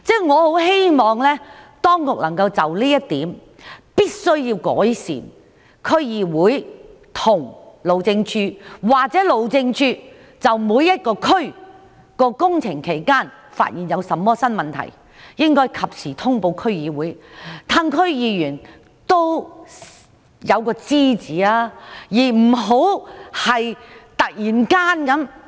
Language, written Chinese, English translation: Cantonese, 我希望當局能夠就這點作出改善，若路政署在各區進行工程期間發現甚麼新問題，必須及時通報區議會，讓區議員知悉有關事宜。, On this point I hope the authorities can make improvement . If HyD discovers any new problems in the course of works implementation in various districts it must report such problems to the DCs in a timely manner so that the DC members will have knowledge of the relevant matters